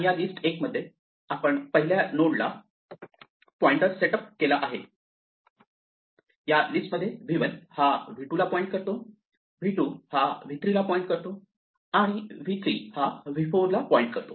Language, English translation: Marathi, The list l itself which we have set up points to the first node in this list, v 1 points to v 2, v 2 points to v 3 and v 3 points to be v 4